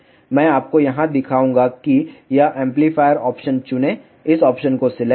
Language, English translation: Hindi, I will just show you here select this amplifier option select this option